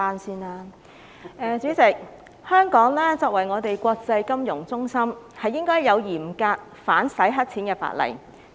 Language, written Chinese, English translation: Cantonese, 主席，香港作為國際金融中心，應該訂有嚴格的反洗黑錢法例。, President Hong Kong being an international financial centre should have stringent anti - money laundering legislation